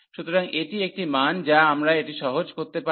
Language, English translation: Bengali, So, this is a value we can simplify this